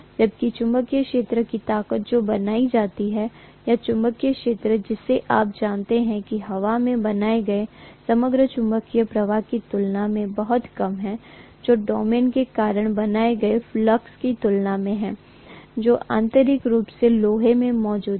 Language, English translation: Hindi, Whereas, the magnetic field strength that is created or the magnetic field you know the overall magnetic flux that is created in the air is much less as compared to what is the flux that is created due to the domains that are intrinsically existing in iron